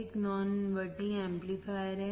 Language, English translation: Hindi, This is a non inverting amplifier